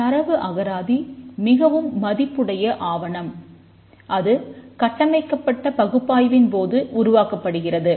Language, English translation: Tamil, The data dictionary is a very valuable document that is produced during structured analysis